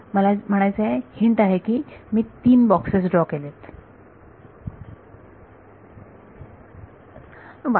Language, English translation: Marathi, I mean the hint is that I would have drawn three boxes